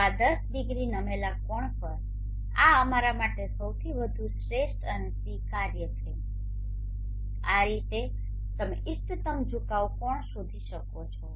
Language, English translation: Gujarati, So this at 10 degree tilt angle this is the most optimal and acceptable for us, in this way you can find the optimum tilt angle